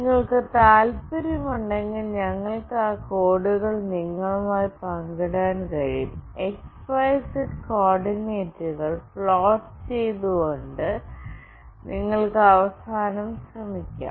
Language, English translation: Malayalam, But if you are interested, we can share those codes with you, you can try out at your end by plotting the x, y, and z coordinates